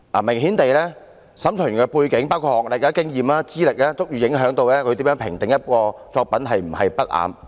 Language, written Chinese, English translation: Cantonese, 明顯地，審裁委員的背景，包括學歷、經驗和資歷均足以影響他如何評定一件作品是否不雅。, Obviously the background of an adjudicator including his education level experience and qualification may affect how he considers whether an article is indecent